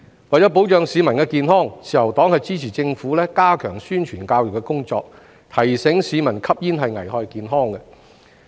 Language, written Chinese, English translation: Cantonese, 為保障市民健康，自由黨支持政府加強宣傳教育的工作，提醒市民吸煙危害健康。, To protect public health the Liberal Party supports the Governments enhancement of publicity and education work to remind the public that smoking is hazardous to health